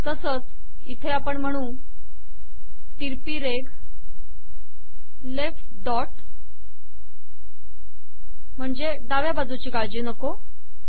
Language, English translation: Marathi, Similarly , here we have to say slash left dot, dont worry about the left here